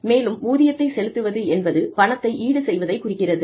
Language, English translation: Tamil, And, pay salary refers to the, monetary compensation